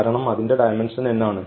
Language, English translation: Malayalam, So, we have the dimension n plus 1